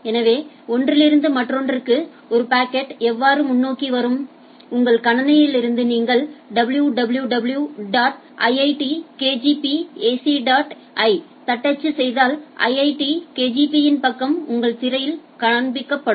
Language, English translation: Tamil, So, how a packet from one to another it will be getting forward, like if you from your system if you are typing www dot iitkgp ac dot in, then the IITKGP page gets displayed on your screen